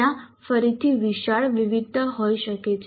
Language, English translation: Gujarati, There can be again wide variation